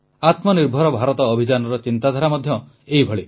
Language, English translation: Odia, The same thought underpins the Atmanirbhar Bharat Campaign